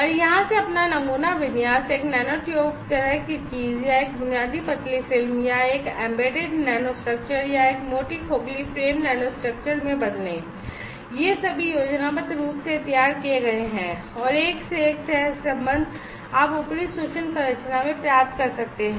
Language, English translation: Hindi, And change your sample configuration from here to a nanotube kind of thing or a basic thin film, or a embedded nanostructure, or a thick hollow frame nanostructure, these are all schematically drawn and one to one correlation you can get in the upper micro structure